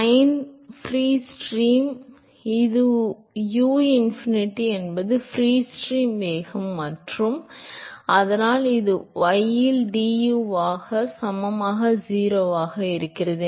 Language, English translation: Tamil, Fine that is the free stream a uinfinity is the free stream velocity and so, that is mu into du by dy at y equal to 0 divided by rho u infinity square by 2